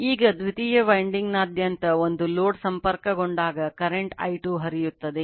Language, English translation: Kannada, Now, when a load is connected across the secondary winding a current I2 flows right